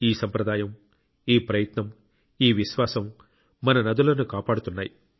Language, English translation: Telugu, And it is this very tradition, this very endeavour, this very faith that has saved our rivers